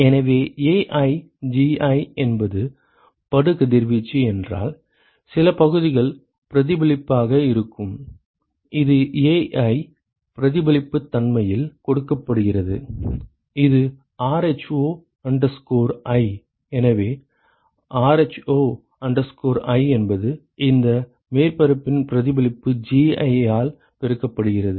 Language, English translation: Tamil, So, supposing if Ai Gi is the incident irradiation, then there will be some part which is reflected which is given by Ai into reflectivity which is rho i So, rho i is the reflectivity of that surface multiplied by Gi right